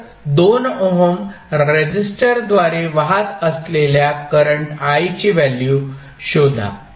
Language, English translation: Marathi, And find out the value of current I which is flowing through the 2 ohm resistor